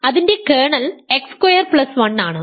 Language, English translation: Malayalam, its kernel is x square plus 1